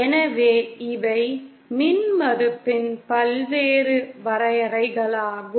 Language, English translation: Tamil, So these are the various definitions of impedance